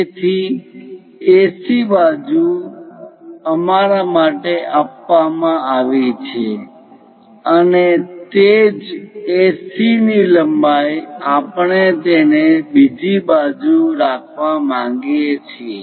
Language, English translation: Gujarati, So, AC side is given for us and the same AC length we would like to have it on other sides